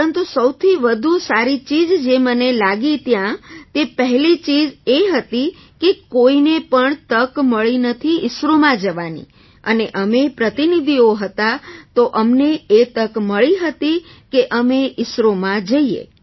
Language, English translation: Gujarati, But the best thing that struck me there, was that firstly no one gets a chance to go to ISRO and we being delegates, got this opportunity to go to ISRO